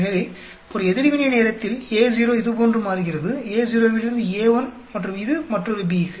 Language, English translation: Tamil, So, at one reaction time, A naught changes like this, A naught to A1 and this is for another B